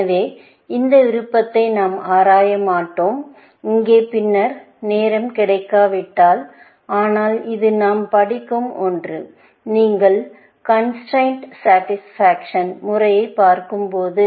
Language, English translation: Tamil, So, we will not really, explore this option, here, unless we get time later on, but it is something that we study, when you look at constrain satisfaction method, essentially